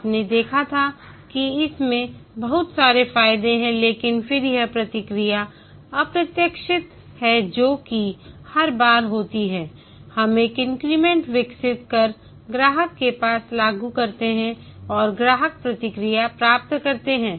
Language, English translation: Hindi, We've seen that it's a lot of advantages but then here the process is unpredictable that is each time we develop an increment deploy deploy and get the customer feedback